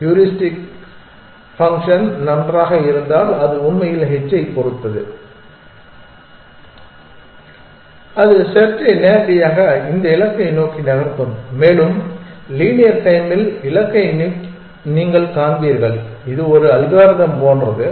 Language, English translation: Tamil, It really depends upon h if the heuristic function is good then it will drive the search towards this goal directly and you will find goal in linear time requiring linear space it is like a algorithm